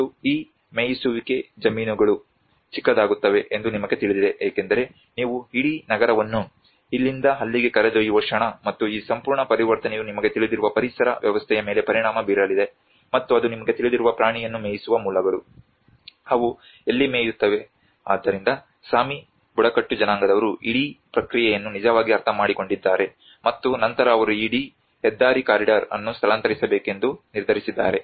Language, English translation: Kannada, And you know these grazing lands become smaller because the moment you are taking out the whole city from here to there and this whole transition is going to have an impact on the ecosystem you know and that has been the animal you know grazing sources where do they graze so that is what the Sami tribes have actually understood the whole process and then finally they have decided of they moved this whole highway corridor